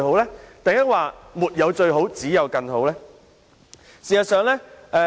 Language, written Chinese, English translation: Cantonese, 其實，是沒有最好，只有更好對嗎？, Actually there is no such thing as the best just better right?